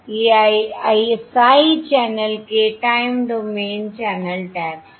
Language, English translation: Hindi, these are basically your time domain channel taps